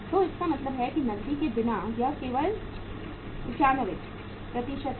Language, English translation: Hindi, So it means without cash it is only 95%